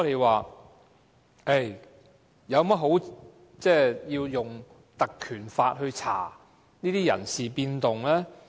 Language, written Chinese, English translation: Cantonese, 為何我們要引用《條例》調查這些人事變動？, Why do we have to invoke the Ordinance to inquire into these personnel changes? . ICAC is independent in operation